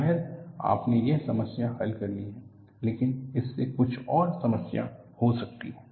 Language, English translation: Hindi, You may have solved one problem, but that may lead to some other problem